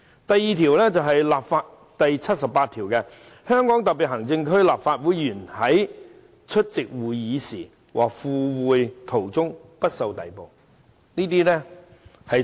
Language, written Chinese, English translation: Cantonese, "另一項是《基本法》第七十八條，該條訂明："香港特別行政區立法會議員在出席會議時和赴會途中不受逮捕。, And the other provision is Article 78 of the Basic Law which stipulates that Members of the Legislative Council of the Hong Kong Special Administrative Region shall not be subjected to arrest when attending or on their way to a meeting of the Council